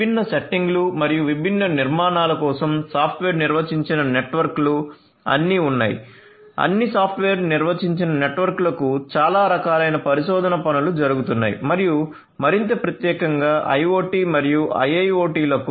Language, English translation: Telugu, So, software defined networks for different different settings different different architectures are all there a lot of research work is going on catering to software defined networks of all different sorts and more specifically for IoT and a IIoT